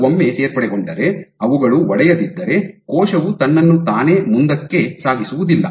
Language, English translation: Kannada, That is your additions once formed if they do not break then the cell cannot propel itself forward